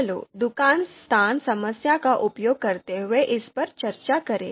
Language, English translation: Hindi, So we discussed this shop location problem